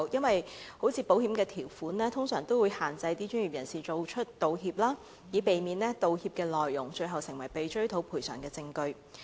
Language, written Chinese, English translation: Cantonese, 例如，保險條款通常會限制專業人士道歉，以避免道歉內容最後成為被追討賠償的證據。, For example terms and conditions of insurance policies normally restrict professionals from giving any apologies lest the contents of apologies will serve as evidence for compensation claims